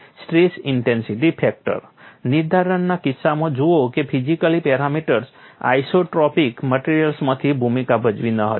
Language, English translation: Gujarati, See in the case of stress intensity factor determination, material parameters did not play a role in isotropic materials